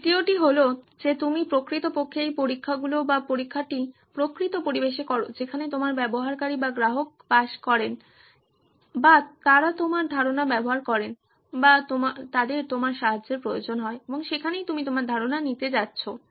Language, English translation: Bengali, The third one is that you actually perform these trials or test in the actual environment in which your user or customer lives or uses your idea or needs help and that is where you are going to take your idea